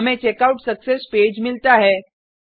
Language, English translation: Hindi, We get the Checkout Success Page